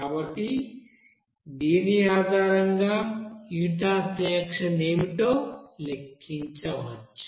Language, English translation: Telugu, So based on this you can calculate what should be the heat of reaction